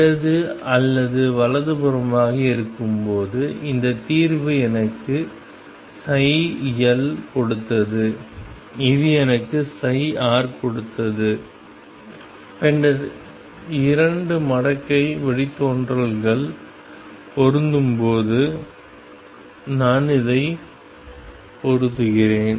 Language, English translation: Tamil, While left or right I mean this solution gave me psi left this gave me psi right and then I match this when the 2 logarithmic derivatives match we have found the eigen function